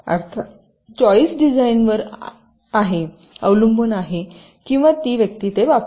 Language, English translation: Marathi, of course, the choices up to the designer or the person uses it